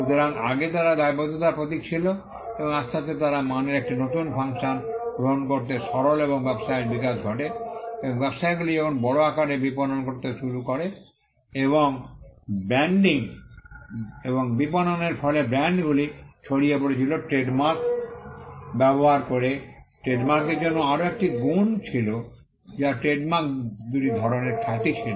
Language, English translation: Bengali, So, earlier they were symbols of liability and slowly they moved to take a new function that of quality and as business is flourished and as businesses became to be marketed on a large scale, and as branding and marketing an advertising led to the spread of brands using trademarks there was a another quality that came in for trademarks, that trademarks were type two reputation